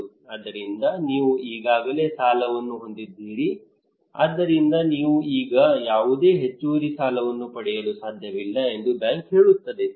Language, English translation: Kannada, So the bank would say that you have already loan so you cannot get any extra credit now